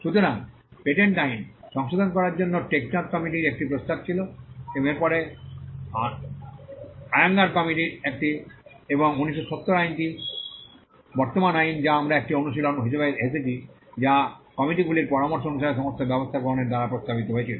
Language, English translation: Bengali, So, there was a proposal by the Tek Chand Committee followed by the Ayyangar Committee to revise the patent laws and the 1970 act which is the present act that we have came as an exercise that was suggested by taking all the measures the committees had suggested